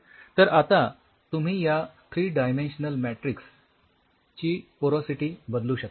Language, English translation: Marathi, So, now, you can vary the porosity of the 3 dimensional matrix and by varying the porosity of the 3 dimensional matrix depending on the